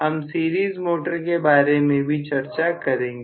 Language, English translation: Hindi, We will talk about series motor eventually